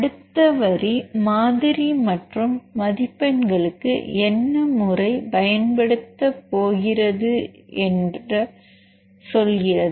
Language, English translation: Tamil, And the next line tells the what method is going to be used for model building and scoring